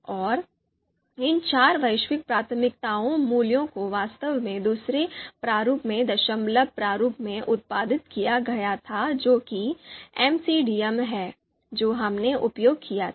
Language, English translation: Hindi, And these four values were actually produced in the decimal format in the other package that is you know MCDA that we had used